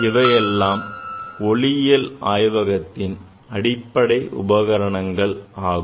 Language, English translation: Tamil, So, these are the basic instruments, tools in the optics lab